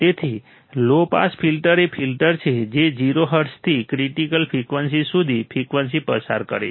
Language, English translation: Gujarati, So, a low pass filter is a filter that passes frequency from 0 hertz to the critical frequency